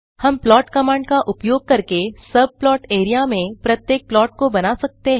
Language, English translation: Hindi, we can draw plots in each of the subplot area using the plot command